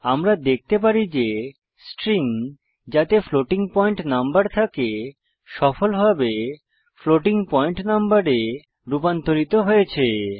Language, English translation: Bengali, We can see that the string containing a floating point number has been successfully converted to floating point number